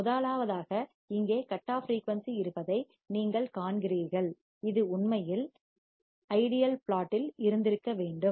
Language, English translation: Tamil, First is that you see there is cut off frequency here, it should have actually been like this in the ideal plot